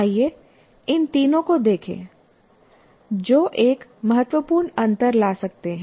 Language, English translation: Hindi, Now, let us look at these three in the which can make a great difference